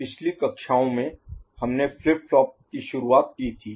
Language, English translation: Hindi, In the previous classes we have got introduced to flip flops